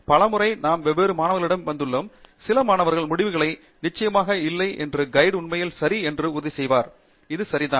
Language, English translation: Tamil, Many a times, we have come across different students, some students are not sure of the results and the advisor has to really put in some effort to convince that yes, this is right